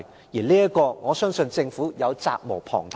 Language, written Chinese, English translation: Cantonese, 在這方面，我相信政府責無旁貸。, In this respect I believe the Government has an unshirkable duty